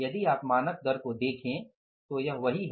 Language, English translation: Hindi, If you look at the standard rate it is same